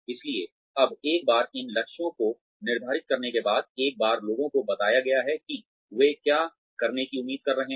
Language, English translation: Hindi, So now, once these targets have been set, once people have been told, what they are expected to be doing